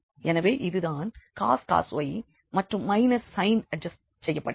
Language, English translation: Tamil, So, this is what cos y is coming and minus sign is adjusted now